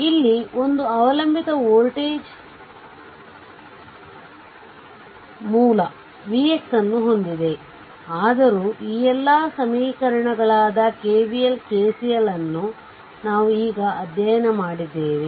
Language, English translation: Kannada, So, in this case you have one dependent voltage source v x look, though out this all this equations KVL, KCL all we have studied now right